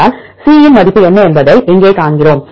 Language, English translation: Tamil, If we see here what is the value for C